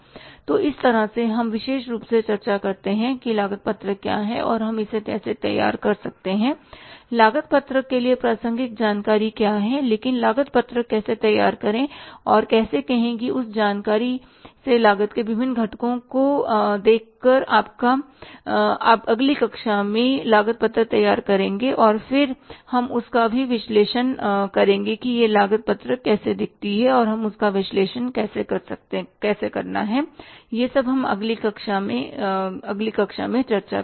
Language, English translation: Hindi, So this is how is theoretically we could discuss what is the cost sheet and how we can prepare it and what is the relevant information for the cost sheet but how to prepare the cost sheet and how to say finally look at the different components of the cost from this information we will prepare a cost sheet in the next class and then we will analyze it also that how that cost sheet looks like and how we have to analyze it